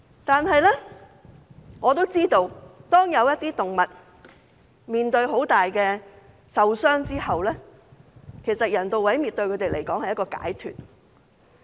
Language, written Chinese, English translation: Cantonese, 然而，我知道有些動物嚴重受傷後，人道毀滅對牠們來說是一種解脫。, Nevertheless I understand that euthanasia is a relief for some seriously injured animals